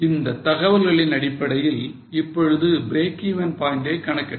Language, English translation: Tamil, Now, based on this data, try to calculate the break even point